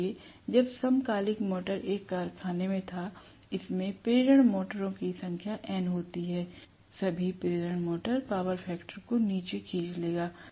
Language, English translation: Hindi, So, when I was a synchronous motor in a factory, which is, you know, having N number of induction motors, all those induction motors will pull down the power factor